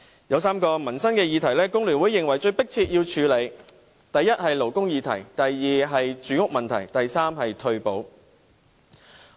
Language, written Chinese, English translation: Cantonese, 有3項民生議題，工聯會認為是最迫切需要處理的。第一，是勞工議題；第二，是住屋問題，以及第三，是退休保障。, FTU considers that three livelihood issues are in most urgent need of handling first the labour issue; second housing; and third retirement protection